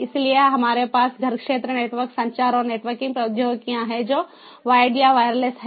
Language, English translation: Hindi, so we have the home area network communication and networking technologies which are wired or wireless